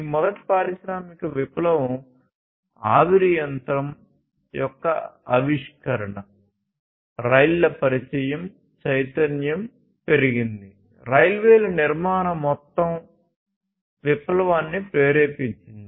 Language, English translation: Telugu, And this first industrial revolution was started with the invention of steam engine, trains introduction of trains, mobility increased, construction of railways basically stimulated the overall revolution